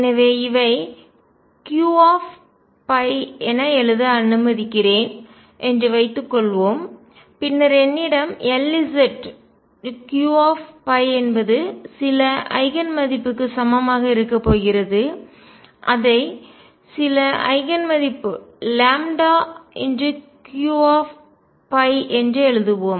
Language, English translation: Tamil, So, these are going to be suppose these are let me write this as Q phi then I am going to have L z Q phi equals some Eigen value let us write it some Eigen value lambda Q phi